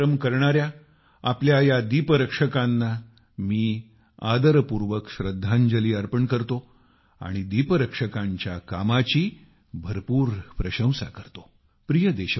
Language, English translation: Marathi, I pay respectful homage to these hard workinglight keepers of ours and have high regard for their work